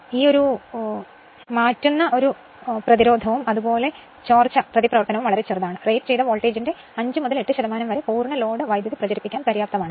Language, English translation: Malayalam, And transfer resistance and leakage reactance are very small; here 5 to 8 percent of rated voltage is sufficient to circulate the full load current